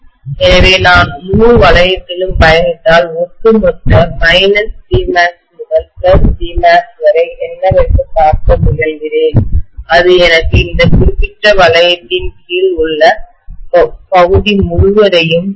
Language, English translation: Tamil, So if I traverse the entire loop and I try to look at what is the overall H DB from minus B max to plus B max, it will give me the complete area under this particular loop, right